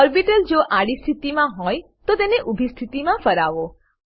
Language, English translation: Gujarati, Rotate the p orbital to vertical position if it is in horizontal position